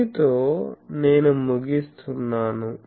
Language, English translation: Telugu, With this, I conclude